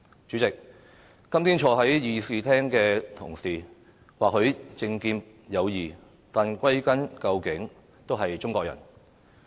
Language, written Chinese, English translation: Cantonese, 主席，今天坐在議事廳的同事或許政見各異，但歸根究底都是中國人。, President Members sitting in the Chamber today may hold different political views but they are after all Chinese